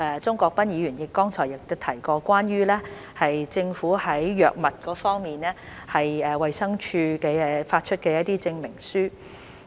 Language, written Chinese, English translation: Cantonese, 鍾國斌議員剛才亦提及關於政府在藥物方面，衞生署發出的一些證明書。, Just now Mr CHUNG Kwok - pan also mentioned some certificates issued by the Department of Health in respect of drugs